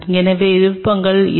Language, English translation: Tamil, So, options are this